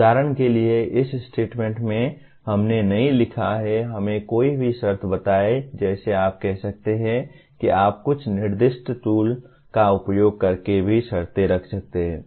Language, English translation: Hindi, For example in this statement we have not written, let us say any conditions like you can say you can also put conditions using certain specified tools